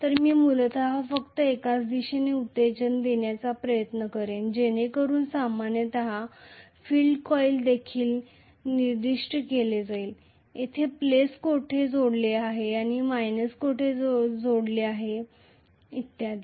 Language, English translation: Marathi, So, I would basically try to do only one direction excitation so generally the field coils will also be specified with where the plus should be connected and where the minus should be connected and so on